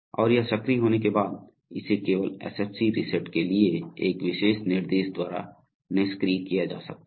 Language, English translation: Hindi, And it once it is activated it can only be deactivated by a special instruction for SFC reset